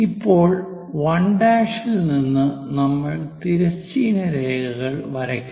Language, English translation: Malayalam, Now, at 1 prime onwards, we have to draw horizontal